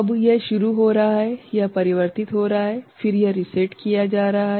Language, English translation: Hindi, Now, it is starting, it is converting then it is getting reset right